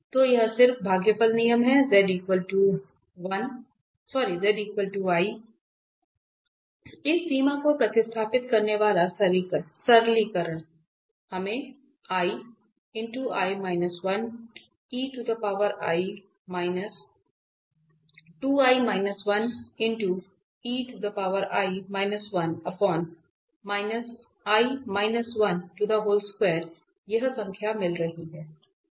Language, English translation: Hindi, So, this is just the quotient rule, the simplification substituting this limit z is equal to i we are getting this number there